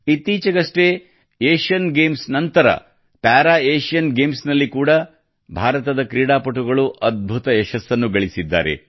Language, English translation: Kannada, Recently, after the Asian Games, Indian Players also achieved tremendous success in the Para Asian Games